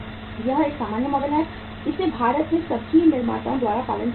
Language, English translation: Hindi, This is an normal model which is being followed by all the manufactures in India